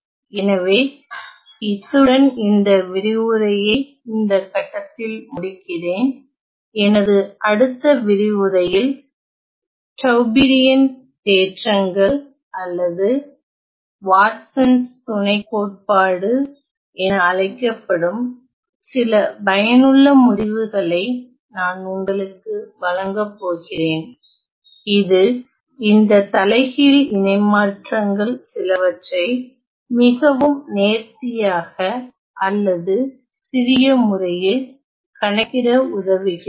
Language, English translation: Tamil, So, let me just end this lecture at this point in the next lecture i am going to provide you with some useful results known as the Tauberian theorems or the Watsons lemma which helps us to calculate some of these inverse transforms in a very neat or a compact fashion